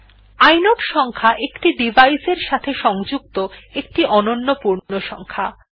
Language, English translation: Bengali, The inode number is a unique integer assigned to the device